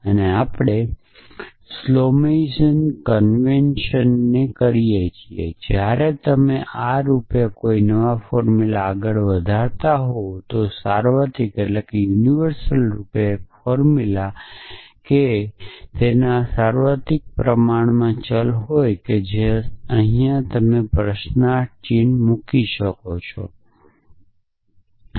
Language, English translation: Gujarati, Then we invert that is skolemization convention when you are doing forward chaining a formula like this a a universally a formula which has a universally quantify variable is put with a question mark here